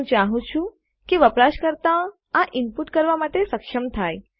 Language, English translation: Gujarati, I want the user to be able to input this